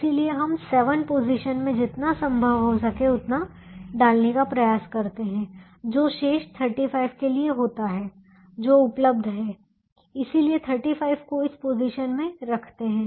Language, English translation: Hindi, so we try to put as much as we can in the seven position, which happens to be the remaining thirty five which is available